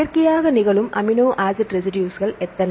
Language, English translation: Tamil, How many amino acid residues